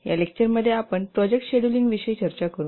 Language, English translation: Marathi, Welcome to this lecture to discuss about project scheduling